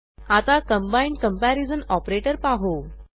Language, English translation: Marathi, Now lets try the combined comparision operator